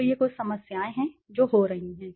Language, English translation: Hindi, So these are some of the problems that is happening